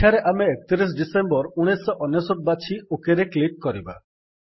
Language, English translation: Odia, Here we will choose 31 Dec, 1999 and click on OK